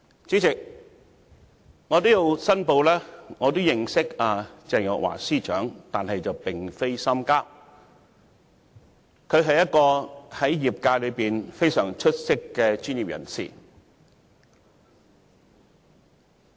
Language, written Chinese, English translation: Cantonese, 主席，我要申報我認識鄭若驊司長，但並非深交，她在業界內是非常出色的專業人士。, President I have to declare that I am acquainted with Secretary for Justice Teresa CHENG but we are not close friends . She is an outstanding professional in her sector